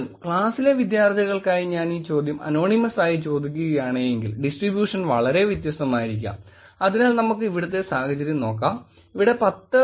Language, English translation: Malayalam, Again, if I were to ask this question anonymously for the students in the class, the distribution may be very different and so, in this case if we look at it, we had about 10